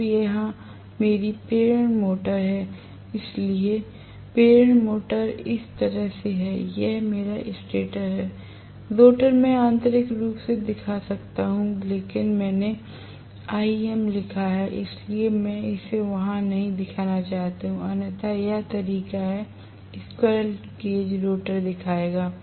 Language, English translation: Hindi, Now, here is my induction motor, so induction motor let me show it like this, this is my stator, the rotor I can show internally, but I have written big IM so I do not want to show it there otherwise this is the way I will show the squirrel cage rotor